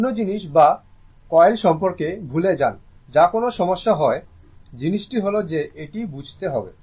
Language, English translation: Bengali, Forget about scale another thing that is not an issue, thing is that we have to understand